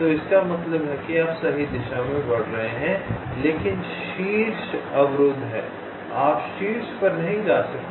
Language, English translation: Hindi, so it means you are moving in the right direction but the top is blocked